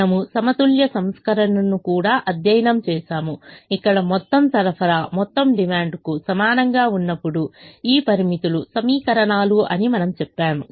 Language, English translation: Telugu, we also studied the balanced version where we said that these constraints are equations when the total supply is equal to the total demand